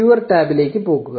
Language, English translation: Malayalam, Go to the viewer tab